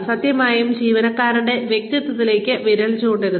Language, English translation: Malayalam, For heaven sake, please do not point fingers, at the personality of the employee